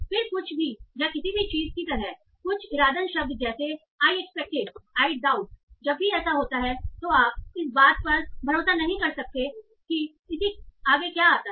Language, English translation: Hindi, Then something like any or anything, certain intentional words like I expected, I doubt whenever this occurs, you might not rely on what follows